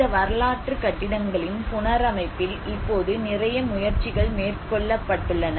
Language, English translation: Tamil, Now a lot of efforts have been taken up in the reconstruction of these historic buildings